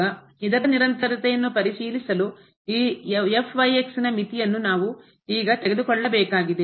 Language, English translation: Kannada, So now for this to check the continuity of this, what we have to now take this limit of this